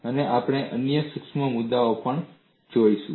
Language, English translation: Gujarati, And we will also look at other subtle issues